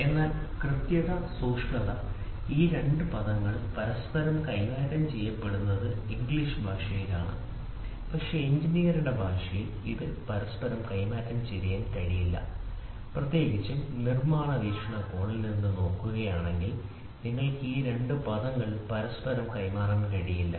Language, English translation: Malayalam, So, accuracy versus precision, these 2 terms are in English language it is interchanged, but in engineer’s language it cannot be interchanged that to especially from the manufacturing perspective if you look at you cannot interchange these 2 words